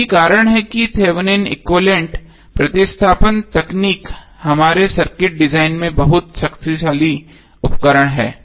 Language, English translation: Hindi, So that is why this Thevenin equivalent replacement technique is very powerful tool in our circuit design